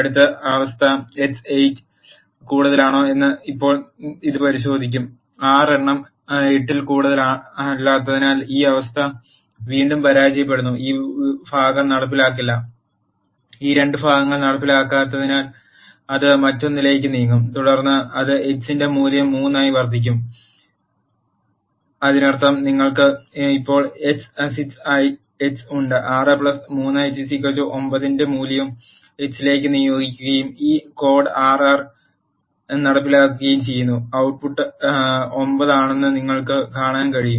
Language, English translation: Malayalam, Now it will check whether the next condition, x is greater than 8; again this condition also fails because 6 is not greater than 8 and this part is not executed, since this 2 parts are not executed it will move to the else and then it will increment the value of x by 3; that means, you have now x as 6, 6 plus 3 is 9 and the value of 9 is assigned to x and this piece of code is executed in R you can see that the output is 9